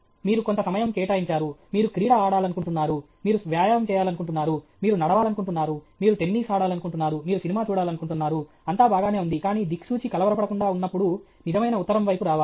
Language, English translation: Telugu, You allot some time, you want to do a sport, you want to jog, you want to walk, you want to play tennis, you want to watch a movie, all that is fine, but the compass left undisturbed it will come to true north